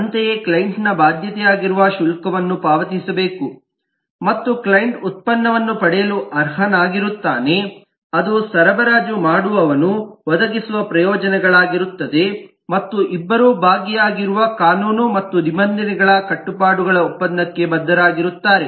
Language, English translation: Kannada, similarly, the client must pay a fee, which is the obligation of the client, and is entitled to get the product, which is the benefit that the supplier provides, and both of them have to go by the obligations of the laws and regulations which a part of that contract